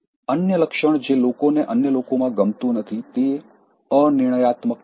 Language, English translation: Gujarati, The other trait that people don’t like in others is being indecisive